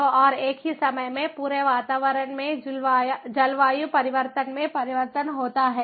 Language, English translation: Hindi, so, and at the same time, there is change in climate, change in environment all through out